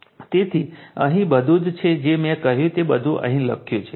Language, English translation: Gujarati, So, here also everything is whatever I said everything is written here right